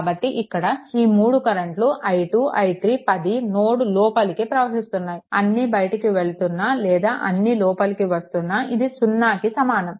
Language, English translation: Telugu, So, this this all these 3 currents i 2, i 3 and 10 all are entering into the node; that means, here also i 2, there also leaving it was 0 or entering also it will be 0